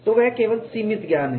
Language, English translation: Hindi, So, that is only limited knowledge